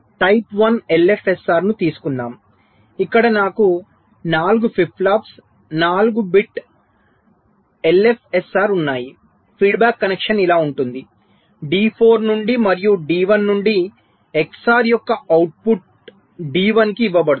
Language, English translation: Telugu, so lets take ah, type one l f s r like this: where i have four flip flops, ah, four bit l f s r, the feedback connection is like this: from d four and from d one, the output of the xor is fed to d one